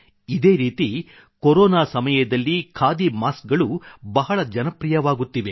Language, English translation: Kannada, Similarly the khadi masks have also become very popular during Corona